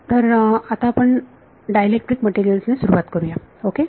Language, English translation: Marathi, So, we will start with dielectric materials ok